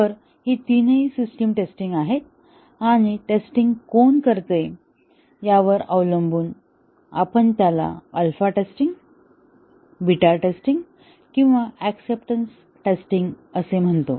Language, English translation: Marathi, So, these are all these three are system testing and depending on who carries out the testing, we call it as alpha testing, beta testing or acceptance testing